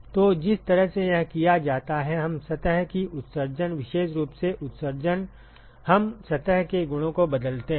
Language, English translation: Hindi, So, the way it is done is, we tweak the emissivity of the surface, particularly emissivity, we tweak the surface properties